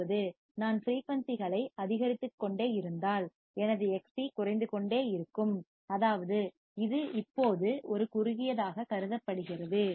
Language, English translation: Tamil, That means that if I keep on increasing the frequency, my Xc will keep on decreasing and that means, that it is considered now as a shorted